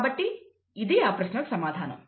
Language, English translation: Telugu, So that is the answer to the question